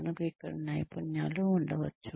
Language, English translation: Telugu, We may have a set of skills here